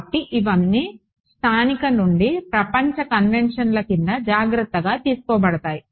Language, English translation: Telugu, So, this all gets taken care of under local to global conventions right